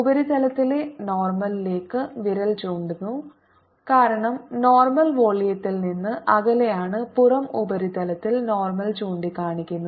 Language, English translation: Malayalam, the normal on the surface is pointing inside because normally away from the volume, and on the outer surface normal is pointing out